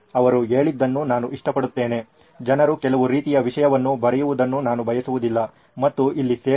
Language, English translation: Kannada, Like I like what he said, that I do not want people to keep writing some kind of content and does not belong here